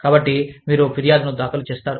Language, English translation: Telugu, And, so you file a grievance